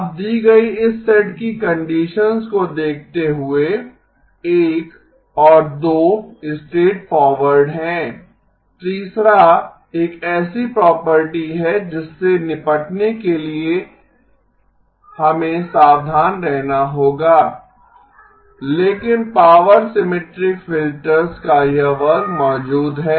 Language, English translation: Hindi, Now given this set of conditions, the 1 and 2 are straightforward, third is a property that we would have to be careful to deal with but this class of power symmetric filters exists